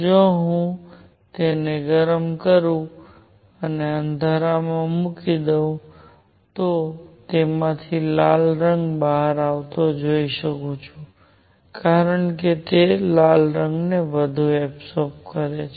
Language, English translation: Gujarati, If I heat it up and put it in the dark, I am going to see red color coming out of it because it absorbs red much more